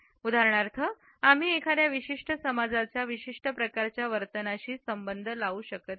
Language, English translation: Marathi, For example, we cannot associate a particular race as having a certain type of a behaviour